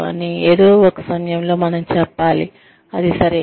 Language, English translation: Telugu, But, at some point, we have to just say, okay, that is it